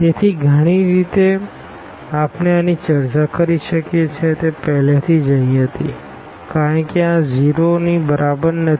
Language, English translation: Gujarati, So, in many ways we can discuss this the one was already here that because this is not equal to 0